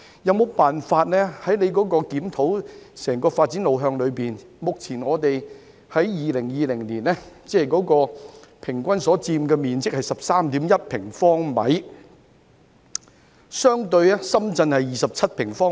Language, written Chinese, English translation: Cantonese, 在局長檢討整個發展路向時，有否辦法......在2020年，人均居住面積為 13.1 平方米，相對來說深圳是27平方米。, When the Secretary reviews the overall direction of development is there any way to In 2020 our average living space per person was 13.1 sq m compared to 27 sq m in Shenzhen